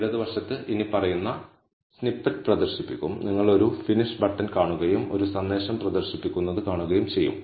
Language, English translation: Malayalam, What will be displayed is the following snippet on the left, you will see a finish button and you will see a message being displayed